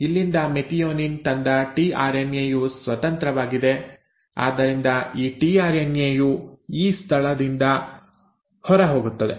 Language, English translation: Kannada, So from here the tRNA which had brought in the methionine is free, so this tRNA will go out from the E site